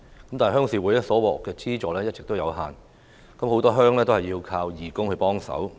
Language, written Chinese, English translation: Cantonese, 可是，鄉事會獲得的資助一直有限，很多鄉也要靠義工幫忙。, However the resources received by RCs have all along been limited and many of them have to count heavily on volunteers